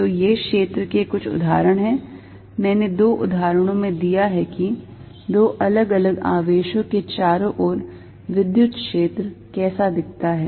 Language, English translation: Hindi, So, these are some example of the field, I given in two examples of what electric field around two different charges looks like